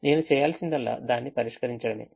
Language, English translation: Telugu, all i need to do is to solve it